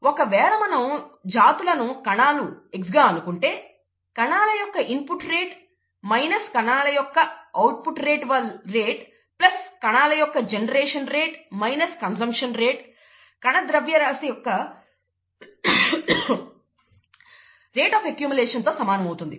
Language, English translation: Telugu, This is an accumulated mass; and if the species happens to be the cells x, then rate of input of cells minus rate of output of cells mass in terms of mass, plus the rate of generation of cells, minus the rate of consumption of cells equals the rate of accumulation of the cell mass